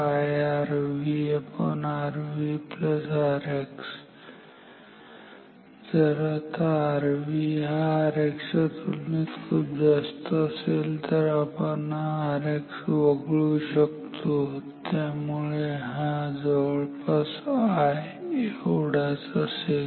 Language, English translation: Marathi, Now if R V is very high compared to R X then we can ignore this R X and therefore, this will be almost same as I